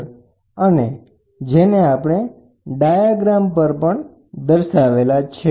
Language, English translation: Gujarati, So, that is what we have represented in this diagram